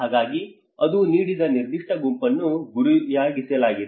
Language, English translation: Kannada, So that is where it has given a particular group has been targeted